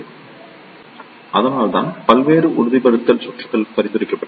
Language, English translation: Tamil, So, that is why various stabilization circuits have been suggested